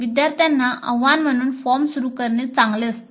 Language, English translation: Marathi, So it is better to start the form with an appeal to the students